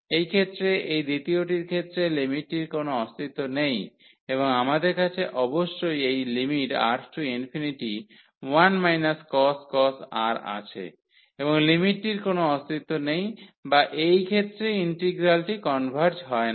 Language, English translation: Bengali, So, therefore, in this case the second case the limit does not exist and we have precisely this limit 1 minus cos R and the limit does not exist or the integral does not converge in this case